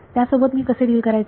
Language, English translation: Marathi, So, how do I deal with it